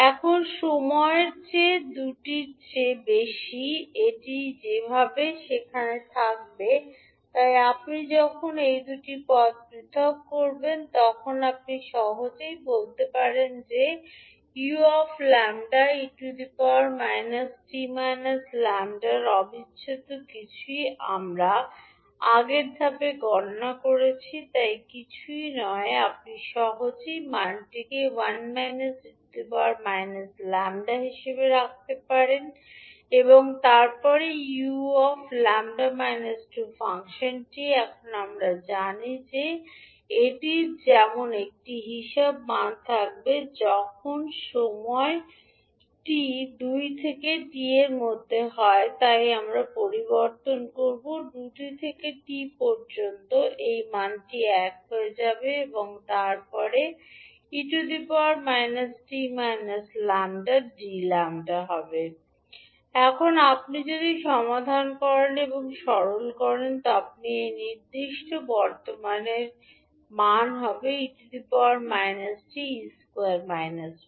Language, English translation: Bengali, Now for time t greater than two this will anyway remain there so when you separate these two terms you can simply say that 0 two t u lambda e to the power minus t lambda d lambda is nothing but what we calculated in the previous step, so you can simply put the value as one minus e to power minus t and then next is u lambda minus two function now we know that this will this will have value as one when the time t is ranging between two to t so we will change the integral value from two to t this value will become one and then e to the power minus t minus lambda d lambda